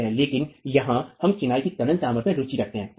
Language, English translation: Hindi, But here we are interested in the tensile strength of the masonry, right